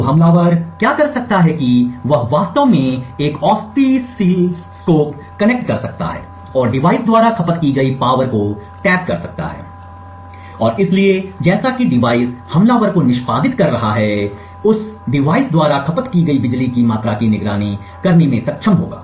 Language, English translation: Hindi, So what the attacker could do is that he could actually connect an oscilloscope and tap out the power consumed by the device and therefore as the device is executing the attacker would be able to monitor the amount of power consumed by that device